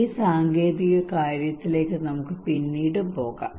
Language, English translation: Malayalam, We can go for this technological matter in later on